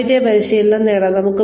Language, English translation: Malayalam, We can have diversity training